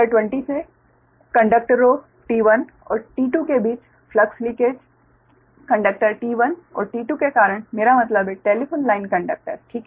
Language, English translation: Hindi, from figure twenty, the flux linkage between conductors t one and t two due to conductors t one and t two means telephone lines